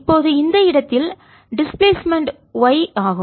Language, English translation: Tamil, at this point the displacement is y